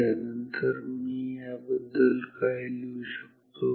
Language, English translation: Marathi, So, then what can I write about this